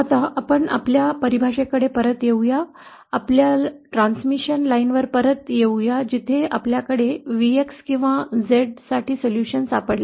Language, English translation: Marathi, Now let us see let us come back to our definition come back to our transmission lines where we had found out the solution for Vx or Z